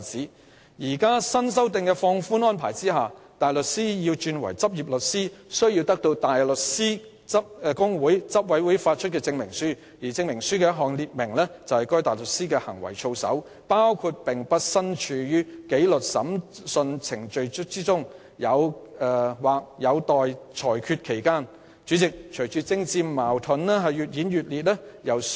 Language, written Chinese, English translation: Cantonese, 在現時新修訂的放寬安排下，大律師如要獲認許為律師，需取得香港大律師公會執委會發出的證明書，證明書須列明該大律師的行為操守，包括該大律師不是大律師紀律審裁組或上訴法庭的仍然待決的法律程序的標的。, Under the newly relaxed requirement a barrister who wishes to be admitted to practise as a solicitor is required to obtain a certificate from the Council of the Hong Kong Bar Association stating that no conduct of the person as a barrister is the subject of proceedings being conducted or pending before the Barristers Disciplinary Tribunal or the Court of Appeal